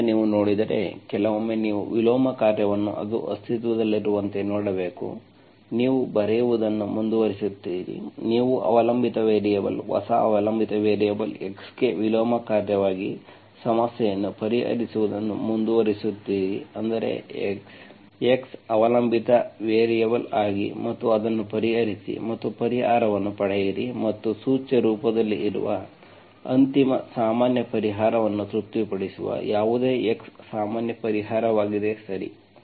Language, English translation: Kannada, So if you look at the, sometimes you have to look at the inverse function as so it exists, you continue to write, you continue to solve the problem for the dependent variable, new dependent variable x as the inverse function, that is x, x as the dependent variable and solve it and get the solution and whatever x that satisfies the final general solution which is in implicit form is the general solution, okay